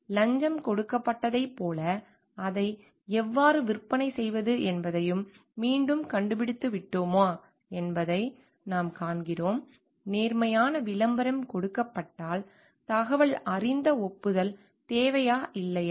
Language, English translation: Tamil, So, there we find like whether again we have found how do we sale it like any bribes are given; an honest advertisement is given informed consent is required yes or no